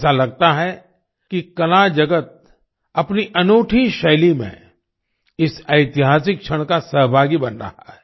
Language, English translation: Hindi, It seems that the art world is becoming a participant in this historic moment in its own unique style